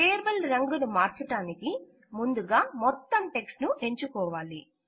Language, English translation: Telugu, To change the color of the table, first select all the text